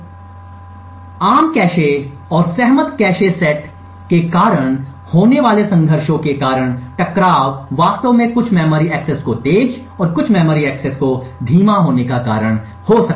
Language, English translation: Hindi, Now due to the conflicts that arise due to the common cache and the agreed upon cache sets, the conflicts may actually cause certain memory accesses to be faster and certain memory access to be slower